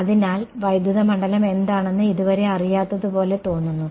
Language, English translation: Malayalam, So, far its seems like it is not known I mean a what is electric field